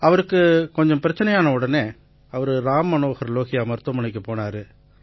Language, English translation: Tamil, Feeling a health problem, He went to Ram Manohar Lohiya hospital